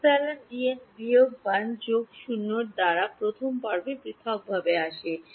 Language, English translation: Bengali, epsilon into D n minus 1 plus that 0 they come in the first term in separately